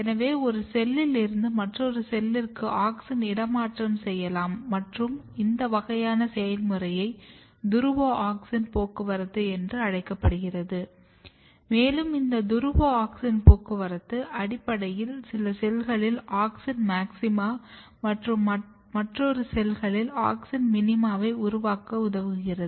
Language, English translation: Tamil, So, you can relocate auxin from one cell to another cell and this kind of mechanism is called polar auxin transport and this polar auxin transport basically helps in generating auxin maxima in some of the cells and auxin minima in another cells